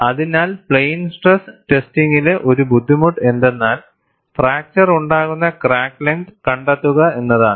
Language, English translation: Malayalam, So, one of the difficulties in plane stress testing is, it is very difficult to find out the cracked length at which fracture occurs